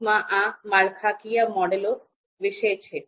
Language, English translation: Gujarati, So structural models are there